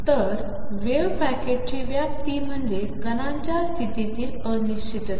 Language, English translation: Marathi, Then the extent of wave packet is the uncertainty in the position of the particle